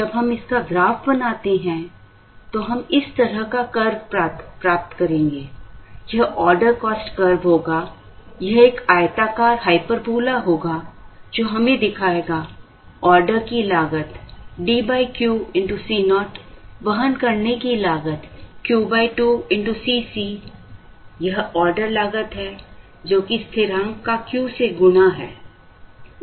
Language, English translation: Hindi, So, when we draw this, we will get, the curve will be like this, this will be the order cost curve, it will be a rectangular hyperbola, which will show this D by Q into C naught, this is the order cost, carrying cost is 2 by 2 into C c, which is constant into Q